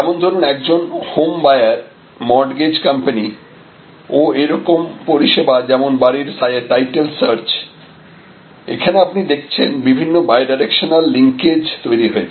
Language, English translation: Bengali, Similarly, there can be home buyer and the mortgage company and there can be services like the title search, so again you see there are different bidirectional linkage formations here